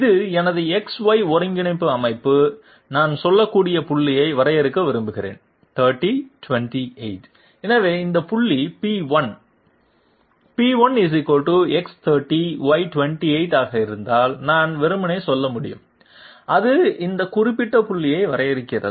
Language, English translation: Tamil, This is my coordinate system, this is X this is Y and I want to define this point which is say 30, 28, so I can simply say if this point be P1, P1 = X30Y28 that is it, it defines this particular point